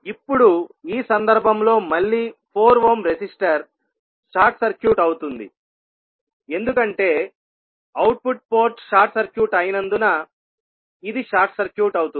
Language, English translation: Telugu, Now, in this case again the 4 ohm resistor will be short circuited because this will be short circuited because of the output port is short circuit